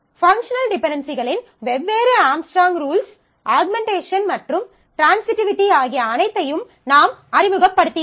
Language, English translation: Tamil, So, I would remind you about functional dependencies, and the different rules offunctional dependencies Armstrong’s rules, that we had introduced the all of these of augmentation transitivity and all that